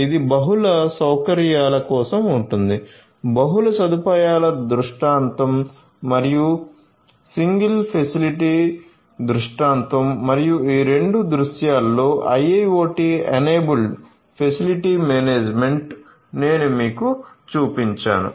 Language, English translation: Telugu, So, this will be for multi facilities right multiple facility scenario and the single facility scenario and IIoT enabled facility management in both of these scenarios is what I just showcased you